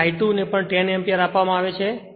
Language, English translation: Gujarati, So, I 2 is given also 10 Ampere right